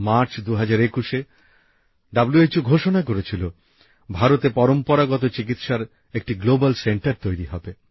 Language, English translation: Bengali, In March 2021, WHO announced that a Global Centre for Traditional Medicine would be set up in India